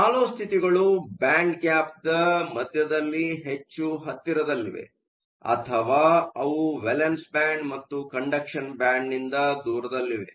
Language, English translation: Kannada, So, deep states are states that are located much closer to the middle of the band gap or they are located far away from the valence band and the conduction band